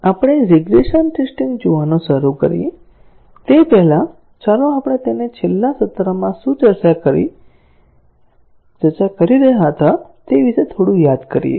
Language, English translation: Gujarati, Before we start looking at regression testing, let us recall it little bit, about what we were discussing in the last session